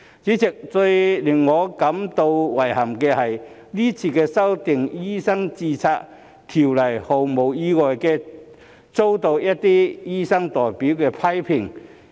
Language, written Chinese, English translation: Cantonese, 主席，最令我感到遺憾的是，今次修訂條例毫無意外地遭到一些醫生代表的批評。, President my deepest regret is that this legislative amendment has unsurprisingly been criticized by some doctors representatives